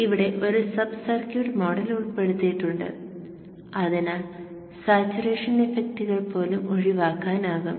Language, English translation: Malayalam, We have included a sub circuit model here so that even saturation effects can be taken care of